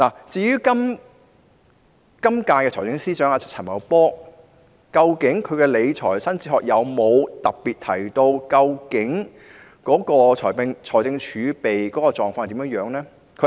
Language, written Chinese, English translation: Cantonese, 至於現任財政司司長陳茂波，他曾否在其理財新哲學中特別提到財政儲備的狀況？, As regards the incumbent Financial Secretary Paul CHAN has he made any special reference to fiscal reserves in his new fiscal philosophy?